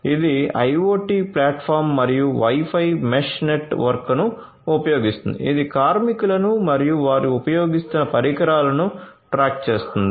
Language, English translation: Telugu, It uses the IoT platform and the Wi Fi mesh network that tracks the workers and the equipments that they are using